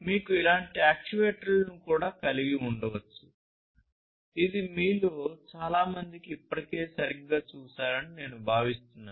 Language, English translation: Telugu, You could also have actuators like these which I think most of you have already seen right